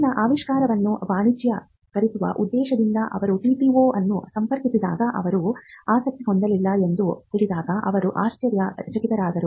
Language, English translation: Kannada, When he approach the TTO with a view to commercializing his discovery; he was surprised to learn that they were not interested